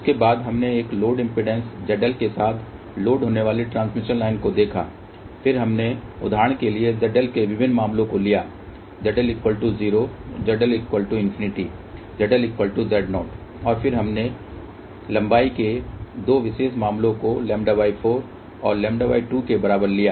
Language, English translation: Hindi, After that we looked intotransmission line loaded with a load impedance Z L, then we took different cases of Z L for example, Z L equal to 0, Z L equal to infinity, Z L equal to Z 0, and then we took 2 special cases of length equal to lambda by 4 and lambda by 2